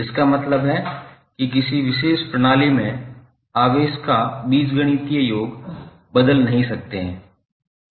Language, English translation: Hindi, That means that the algebraic sum of charges within a particular system cannot change